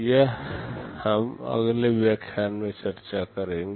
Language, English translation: Hindi, This we shall be discussing in the next lecture